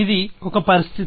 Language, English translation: Telugu, So, this is the state